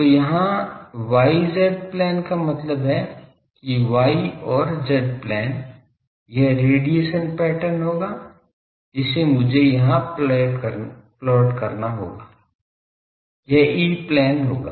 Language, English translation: Hindi, So, here the y z plane so that means, y and z plane this will be the radiation pattern I will have to plot here; this will be the E plane